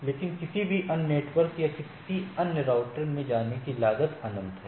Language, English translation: Hindi, But however, going to any other network or any other routers it is the infinity